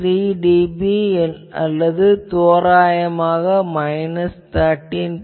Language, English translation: Tamil, 3 dB or roughly we call it minus 13